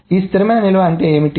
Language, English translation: Telugu, This is what is the stable storage